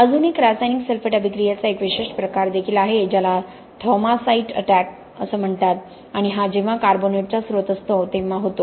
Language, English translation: Marathi, You may also have a special form of chemical sulphate attack called Thaumasite attack and this happens whenever there is a source of carbonates present okay